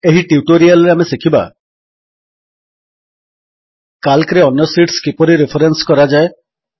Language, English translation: Odia, In this tutorial we will learn the following: How to reference other sheets in Calc